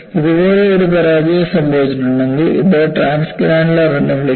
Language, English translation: Malayalam, And you classify, if a failure has happen like this, as transgranular